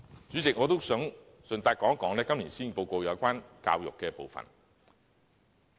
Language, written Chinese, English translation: Cantonese, 主席，我想順帶談談今年施政報告有關教育的部分。, President I would like to say in passing a few words about the part concerning education in the Policy Address